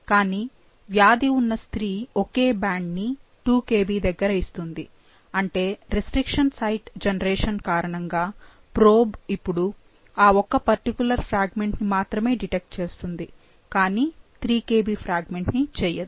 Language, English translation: Telugu, The diseased female however gives only one single band at 2 Kb which means that, because of the restriction site generation, the probe can now detect only that particular fragment and not the 3 Kb fragment, all right